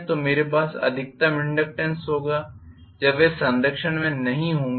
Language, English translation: Hindi, I am going to have maximum inductance because minimum reluctance will be there